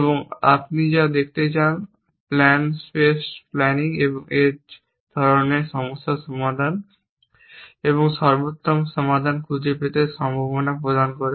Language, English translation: Bengali, And what you want see the plans space planning offers the possibility of solving such problems and finding optimal solution